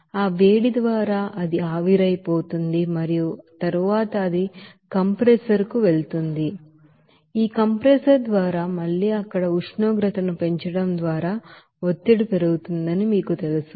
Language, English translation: Telugu, And by that heat you will see that it will be evaporated and then it will go to the compressor and by this compressor there again that pressure will be you know increased by increasing the temperature also there